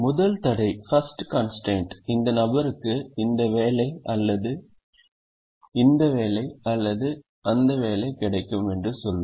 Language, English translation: Tamil, the first constraint will say that this person will get either this job or this job, or this job